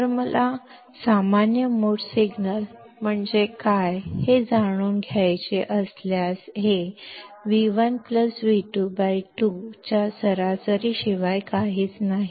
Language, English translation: Marathi, So, if I want to know what is common mode signal, this is nothing but the average of V 1 plus V 2 by 2